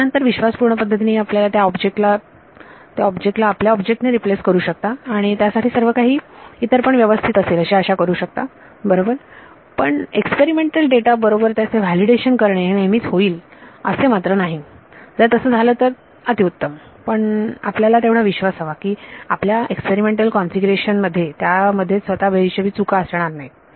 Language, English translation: Marathi, Then you take a leap of faith replace that object by your object and hope everything else for that right having the luxury of validating against experimental data may not always be there if you have that is great, but then you have to have confidence that your experimental configuration does not have unaccounted errors themself